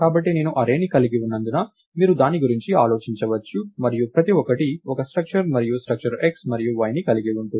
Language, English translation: Telugu, So, you can think of it as I have an array and each one is a structure and the structure has x and y